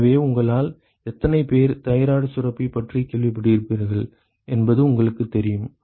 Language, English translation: Tamil, So, you know how many of you have heard about thyroid gland oh most of you